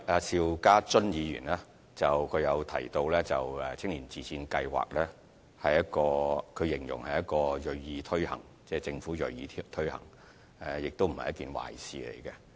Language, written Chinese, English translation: Cantonese, 邵家臻議員提到青年自薦計劃，他形容政府銳意推行這項計劃，亦認為這並非壞事。, Mr SHIU Ka - chun mentioned the self - recommendation scheme to recruit young members . He also described the Government as very keen to implement the scheme which he considered not a bad thing